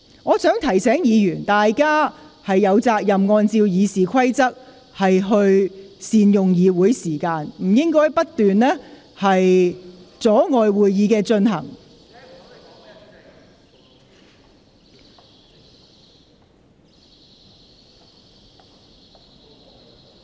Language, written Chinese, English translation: Cantonese, 我想提醒議員，大家有責任按照《議事規則》善用會議時間，不應該不斷阻礙會議進行。, I wish to remind Members that under RoP you have the responsibility to make good use of the meeting time and should not keep disrupting the proceedings of the meeting